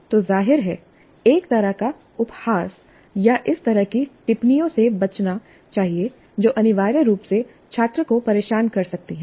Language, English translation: Hindi, So obviously a kind of ridiculing or the kind of comments which essentially disturb the student should be avoided